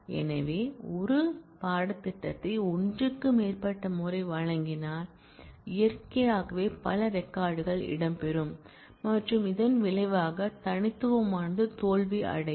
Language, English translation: Tamil, So, if it a course was offered more than once, then naturally multiple records will feature and the result the unique will fail